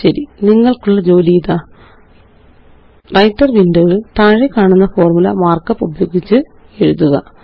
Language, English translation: Malayalam, Okay, here is an assignment for you: In the Writer window, write the following formulae using Mark up